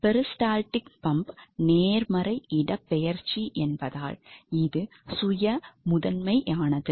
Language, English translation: Tamil, So, peristaltic pump is type of a positive displacement pump